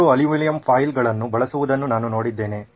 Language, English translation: Kannada, I have seen people use aluminum foils